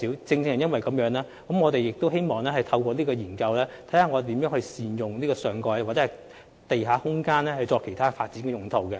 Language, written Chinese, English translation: Cantonese, 正因如此，我們希望透過有關研究，審視能如何善用上蓋或地下空間作其他發展用途。, Precisely for this reason we hope the study can explore how the topside or underground space can be used effectively for other development uses